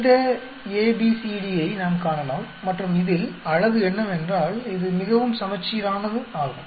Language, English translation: Tamil, We can see this A, B, C, D and beauty is, it is very symmetrical